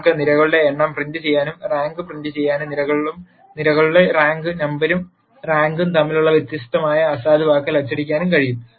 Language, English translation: Malayalam, And you can print the number of columns, you can print the rank and you can print nullity which is the difference between columns and the rank number of columns and the rank